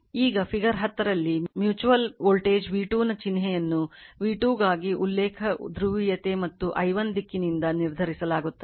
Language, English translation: Kannada, Now, in figure 10 the sign of the mutual voltage v 2 is determined by the reference polarity for v 2 and direction of i1 right